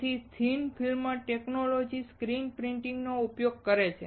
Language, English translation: Gujarati, So, thick film technology uses the screen printing